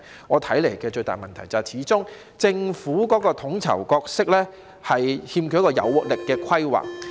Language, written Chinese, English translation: Cantonese, 我看到最大的問題是，政府的統籌角色始終欠缺有活力的規劃。, According to my observation the biggest problem lies in the Governments lack of vigour in its planning when it played its role as the coordinator